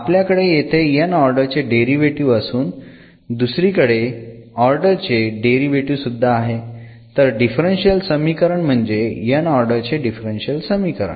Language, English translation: Marathi, So, here we have this nth order derivatives and other lower order derivatives also, this dependent variable x and y since a relation meaning is a differential equation the nth order differential equation